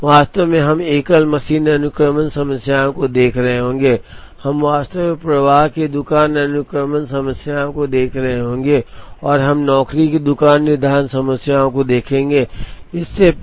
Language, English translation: Hindi, Actually we will be seeing single machine sequencing problems, we will be actually seeing flow shop sequencing problems and we will see job shop scheduling problems